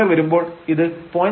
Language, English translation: Malayalam, 1 here this is 0